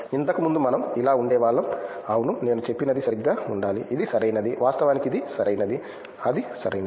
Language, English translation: Telugu, Earlier we used to be like, yeah what I said should be right, it is right, actually it is right, it should right